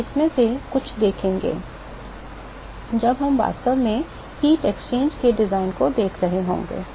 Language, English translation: Hindi, We will see a lot more of these when we are actually looking at the design of heat exchanges